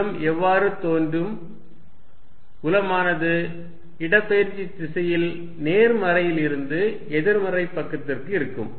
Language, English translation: Tamil, So, what will the field look like, field will be in the direction of displacement from positive to negative side